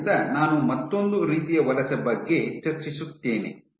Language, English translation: Kannada, So, I will just touch upon another type of migration